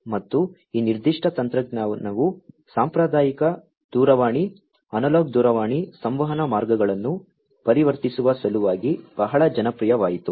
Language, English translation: Kannada, And, this particular technology became very popular in order to convert the conventional telephone, you know, analog telephone communication lines